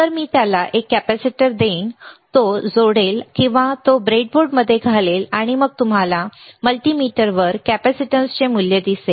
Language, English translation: Marathi, So, I will give a capacitor to him he will connect it or he will insert it in the breadboard, and then you will see the value of the capacitance on the multimeter